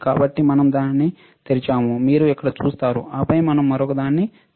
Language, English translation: Telugu, So, we open it, you see here and then we open the other one